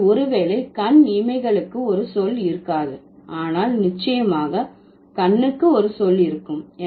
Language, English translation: Tamil, So, maybe there wouldn't be a word for eyelashes, but definitely there would be word, there would be a word for eye